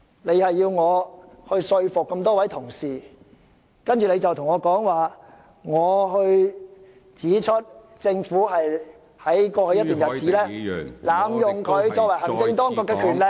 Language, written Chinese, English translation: Cantonese, 你指出我要說服各位議員支持議案，但當我指出政府在過去一段日子濫用行政當局的權力......, You have pointed out that I must convince Members to support the motion . But when I pointed out that over the past period the Government had abused its power as the executive